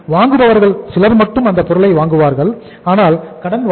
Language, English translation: Tamil, Some buyer will buy the product from the firm but on the credit